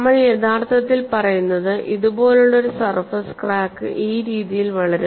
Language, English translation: Malayalam, So, what we are actually saying is a crack, which is a surface crack like this would proceed in this fashion